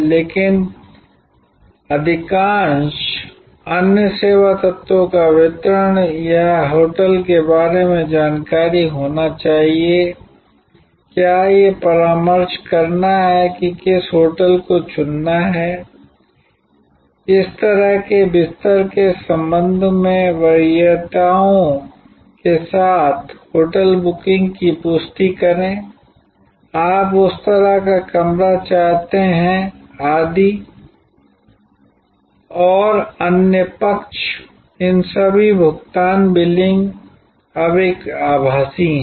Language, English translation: Hindi, But, the distribution of most other service elements be it information about the hotel, be it consultation which hotel to choose, confirming the hotel booking giving preferences with respect to the kind of bed, you want kind of room you want it etc and on the other side payment billing all of these are now one virtual